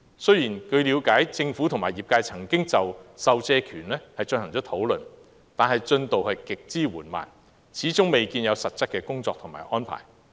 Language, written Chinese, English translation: Cantonese, 雖然據了解政府和業界曾經討論授借權，但進度極之緩慢，始終未見有實質的工作及安排。, It is understood that although discussions have been made between the Government and the industry on Public Lending Right the progress has been extremely slow and substantial work and arrangement are yet to be seen